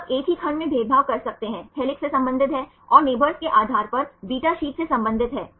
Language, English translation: Hindi, So, you can discriminate the same segment belongs to helix and belongs to beta sheet depending upon the neighbours